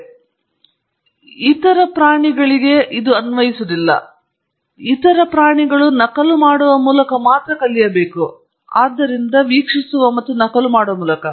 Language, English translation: Kannada, And no other animal does that, all other animals have to only learn by copying, so by watching and copying